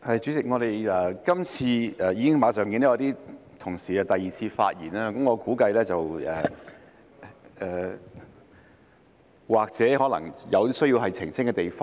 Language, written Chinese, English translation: Cantonese, 主席，我們今次......我已經看到一些同事馬上作第二次發言，我估計這或許可能是因為他們有需要澄清的地方。, Chairman this time around we I have seen some Honourable colleagues speak for the second time immediately and I guess this is perhaps because they have something to clarify